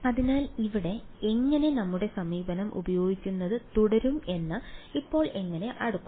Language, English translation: Malayalam, So, now how do we sort of how do we continue to use our approach over here